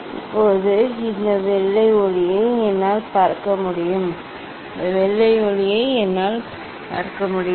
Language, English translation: Tamil, now, I can see this white light I can see this white light